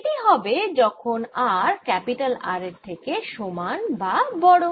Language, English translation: Bengali, this is for r greater than or equal to r